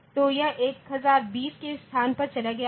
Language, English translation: Hindi, So, it has gone to the location, 1020